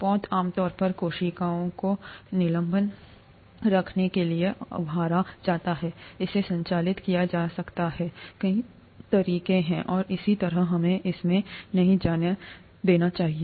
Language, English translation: Hindi, The vessel is typically stirred to keep the cells in suspension, it could be operated in many ways and so on, let us not get into that